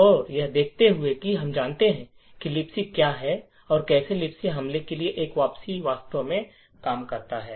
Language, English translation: Hindi, So, given that we know that what LibC is let us see how a return to LibC attack actually works